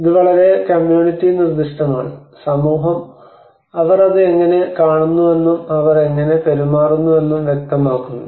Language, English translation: Malayalam, It is very community specific, it is also society specific how they look at it how they see it how they behave to it